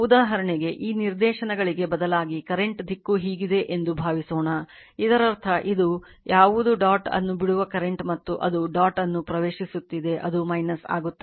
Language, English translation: Kannada, For example, if you if you just instead of this directions suppose current direction is like this so; that means, what it is this is the current the current leaving the dot right and it is entering the dot it will be minus right you have see